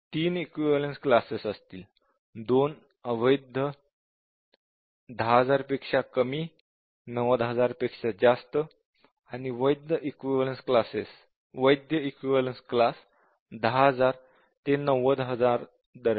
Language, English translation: Marathi, So, there will be 3 equivalence classes; 2 invalid; less than 10000, more than 30000, sorry, 90000 and valid equivalence class between 10000 and 90000